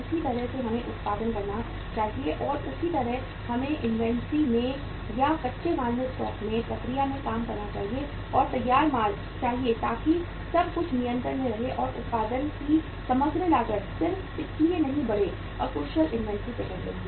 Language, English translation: Hindi, Same way we should produce and same way we should make investment in the inventory or in the stock of the raw material, work in process, and the finished goods so that everything remains under control and the overall cost of production does not go up just because of the inefficient inventory management